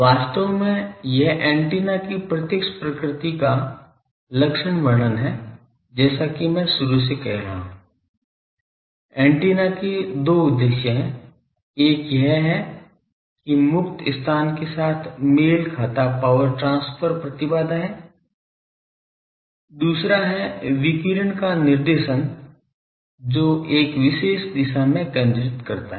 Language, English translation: Hindi, Actually , this is the characterization of directive nature of the antenna as I am saying from the beginning , antenna has two purposes; one is it is power transfer impedance matching with the free space, another is directing the radiation make it focused in a particular direction